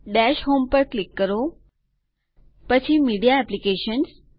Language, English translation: Gujarati, Click on Dash home and Media Apps